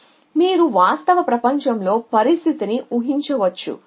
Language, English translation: Telugu, So, you can a imagine situation in the real world